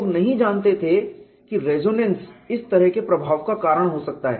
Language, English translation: Hindi, People did not know that resonance can cause this kind of an effect